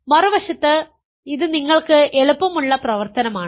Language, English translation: Malayalam, On the other hand, it is an easy exercise for you